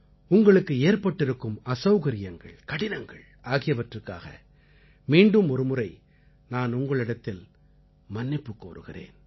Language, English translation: Tamil, Once again, I apologize for any inconvenience, any hardship caused to you